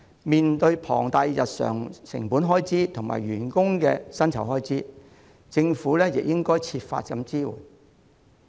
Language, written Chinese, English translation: Cantonese, 面對龐大的日常成本開支及員工的薪酬開支，政府亦應該設法提供支援。, In view of the substantial daily and payroll costs the Government should try to offer assistance